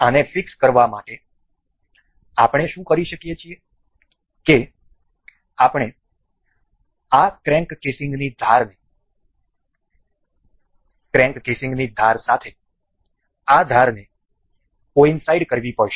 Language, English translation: Gujarati, To fix this, what we can do is we will have to coincide this particular edge with the edge of this crank casing